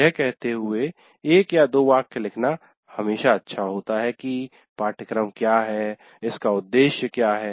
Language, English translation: Hindi, It is always good to write one or two sentences saying what the course is all about